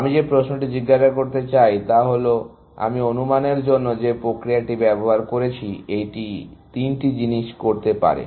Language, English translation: Bengali, The question that I want to ask is the mechanism that I used for estimation; it can do three things